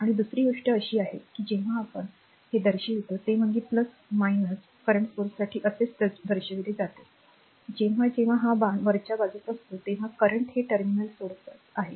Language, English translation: Marathi, And another thing is that whenever we are showing this is plus minus it is shown right similarly for the current source whenever this arrow is upward this I mean it is; that means, that means current is leaving this terminal